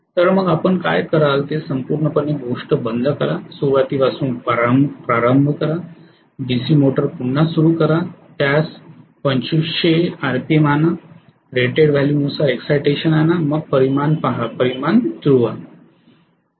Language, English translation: Marathi, So what you will do is switch off the whole thing, start from scratch, start the DC motor again bring it 2500 RMP, bring the excitation to whatever is the rated value then look at the magnitude, match the magnitude right